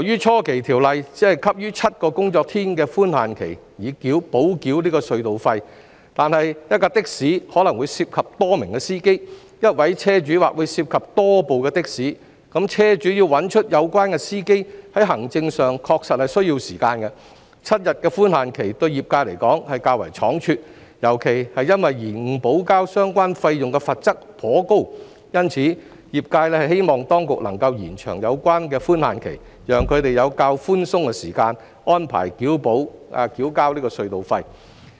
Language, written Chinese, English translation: Cantonese, 初期，《條例草案》只給予7個營業日的寬限期以補繳隧道費，但一輛的士可能會涉及多名司機，一位車主或會涉及多部的士，車主要找出有關司機，在行政上確實需時 ，7 天的寬限期對業界而言是較為倉卒，尤其是因延誤補交相關費用的罰則頗高，因此，業界希望當局能夠延長有關寬限期，讓他們有較寬鬆的時間安排補繳隧道費。, But then a taxi may be driven by a number of drivers and a vehicle owner may own a number of taxis so in terms of administration it really takes time for the vehicle owners to be able to identify the relevant drivers . From the perspective of the trades the grace period of seven days was rather short especially considering the heavy penalty for a delay in paying the relevant surcharges . Therefore the trades have expressed their hope that the authorities can extend the grace period to allow them sufficient time to arrange for payment of the tolls in arrears